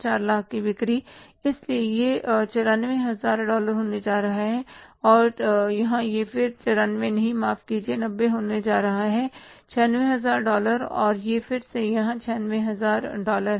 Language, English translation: Hindi, So it is going to be $94,000 and here it is going to be again say $90, sorry, not $96,000 and it is again here $96,000